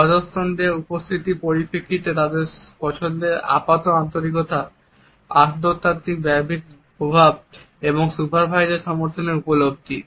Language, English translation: Bengali, In terms of subordinate’s perceptions of their likeability apparent sincerity, interpersonal influence and perceptions of supervisor support